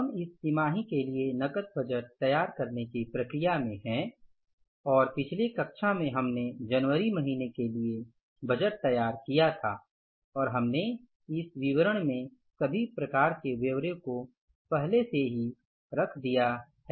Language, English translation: Hindi, So, we are in the process of preparing the cash budget for this quarter and in the previous class we prepared the budget for month of January and we have already put the particulars, all kinds of the particulars here in this budget statement